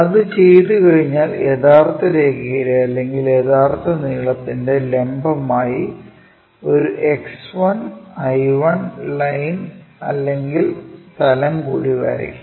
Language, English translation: Malayalam, Once it is done, perpendicular to the true line or true length, draw one more X 1, I 1 line or plane